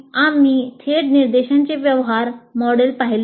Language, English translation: Marathi, We have seen the transaction model of direct instruction